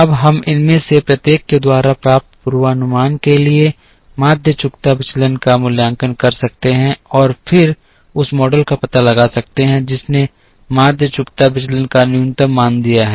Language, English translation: Hindi, Now, we can evaluate the mean squared deviation for the forecast obtained by each of these and then find out that model which has given as the least value of mean squared deviation